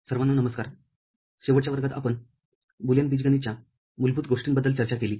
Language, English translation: Marathi, Hello everybody, in the last class we discussed fundamentals of Boolean algebra